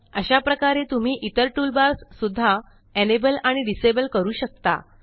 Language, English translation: Marathi, Similarly, you can enable and disable the other toolbars, too